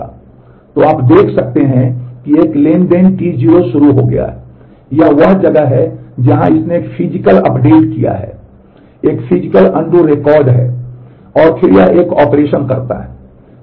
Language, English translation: Hindi, So, you can see that a transaction T 0 has started, this is where it has done a physical update, is a physical undo record and then it does an operation